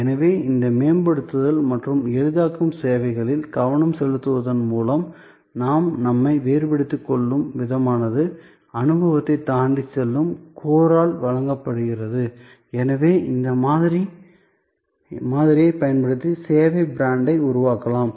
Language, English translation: Tamil, And therefore, the way we distinguish ourselves by focusing on these enhancing and facilitating services where the experience goes beyond it is provided by the core, one can use this model therefore to create the service brand